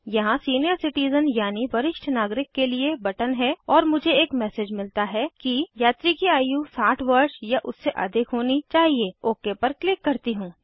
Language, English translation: Hindi, So it gives us button senior citizen and i get the message That passengers age should be 60 years or more i say okay